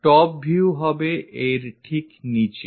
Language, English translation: Bengali, Top view will be below that